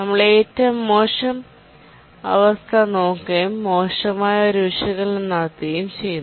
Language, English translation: Malayalam, We look at the worst case and do a worst case analysis